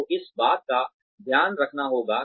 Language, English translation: Hindi, So, this has to be taken care of